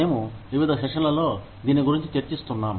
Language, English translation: Telugu, We have been discussing this, in various sessions